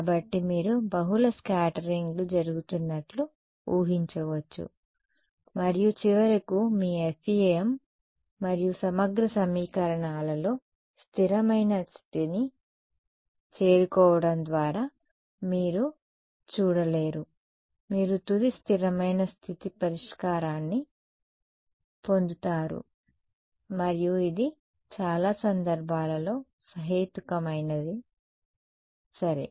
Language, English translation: Telugu, So, you can visualize multiple scatterings is happening and then finally, reaching a steady state value in your FEM and integral equations you do not get to see that beauty you just get final steady state solution and which is reasonable in most cases reasonable ok